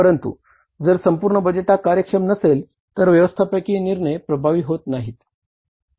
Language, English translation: Marathi, If your entire budgeting exercise is efficient, then overall management decision making becomes effective